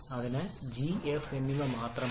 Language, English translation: Malayalam, And therefore g and f alone are sufficient